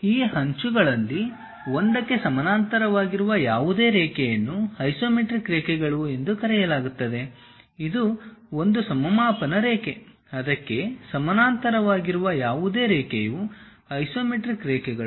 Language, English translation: Kannada, Any line parallel to one of these edges is called isometric lines; this is one isometric line, any line parallel to that also isometric lines